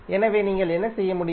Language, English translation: Tamil, So here what you can do